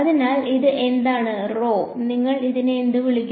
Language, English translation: Malayalam, So, what is rho over here, what would you call it